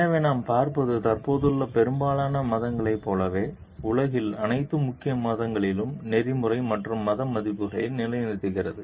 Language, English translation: Tamil, So, what we see, like most existing religions, so at all major religions of the world uphold ethical as well as religious standards